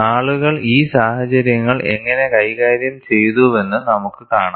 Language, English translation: Malayalam, We will see, how people have handled these scenarios